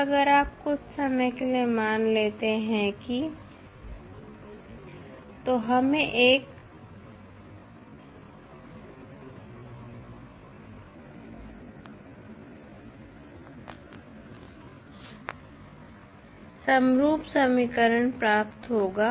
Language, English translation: Hindi, Now, if you assume for the time being that ut is 0 then we have homogeneous equation